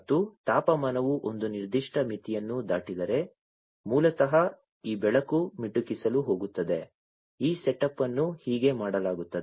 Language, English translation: Kannada, And if the temperature crosses a certain threshold, then, basically, this light is going to blink, this is how this setup is done